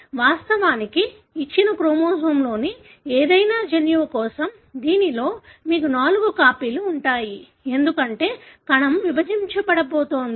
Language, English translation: Telugu, In fact, for any gene on a given chromosome, in this you would have four copies, right, because the cell is about to be divided